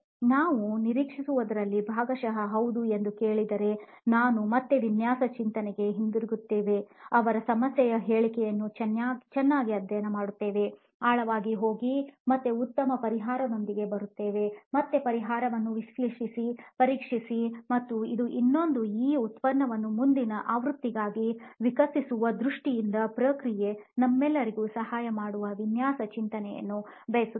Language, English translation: Kannada, If they say this is partially what we were expecting then we again go back to design thinking, study their problem statement well, go deep into the core again, again come up with a better solution, again analyse the solution, test and this is another process of in terms of evolving this product into a next version we would like design thinking to help us out as well in